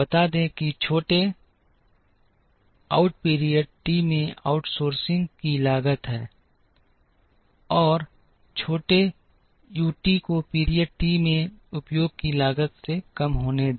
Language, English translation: Hindi, Let small OUT be the cost of outsourcing in period t, and let small u t be the cost of under utilization in period t